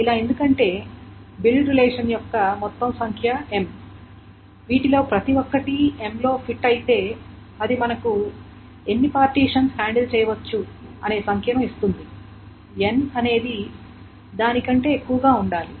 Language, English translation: Telugu, Because the total number of build relations is M and if each of them fits in M that gives you the number that many partitions can be handled and N should be more than that